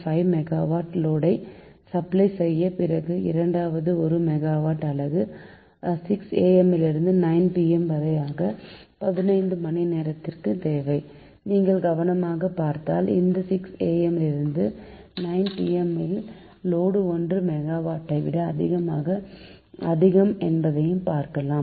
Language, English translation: Tamil, and then, second, generating unit of one megawatt ah requires six am to nine pm, that fifteen hours, if you look carefully, at least six am to nine pm, you can observe that load is more than one megawatt